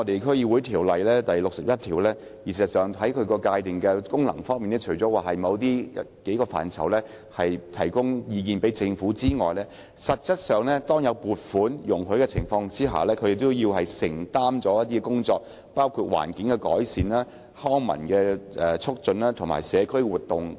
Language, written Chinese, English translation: Cantonese, 《區議會條例》第61條界定了區議會的職能，除了就某些範疇向政府提供意見外，就有關目的獲得撥款的情況下，區議會也要承擔一些工作，包括環境改善和促進康文事務，以及舉辦社區活動等。, Under section 61 of the District Councils Ordinance the functions of an DC include advising the Government in certain areas and where funds are made available for the purpose undertaking environmental improvements the promotion of recreational and cultural activities community activities and so on